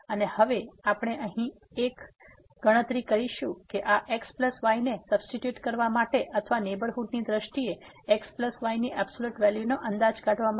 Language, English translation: Gujarati, And now, we will make a calculation here to substitute this plus or to estimate this absolute value of plus in terms of the neighborhood